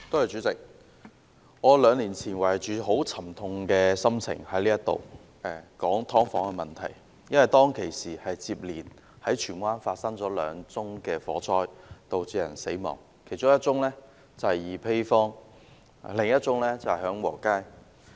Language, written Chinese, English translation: Cantonese, 主席，兩年前，我懷着沉痛的心情，在這裏談論"劏房"問題，因為當時在荃灣接連發生了兩宗火災，導致有人死亡，其中一宗在二陂坊，另一宗在享和街。, President two years ago in this Council I spoke on the problem of subdivided units with a heavy heart because two fires had broken out successively in Tsuen Wan resulting in fatalities . One of them happened at Yi Pei Square and the other happened at Heung Wo Street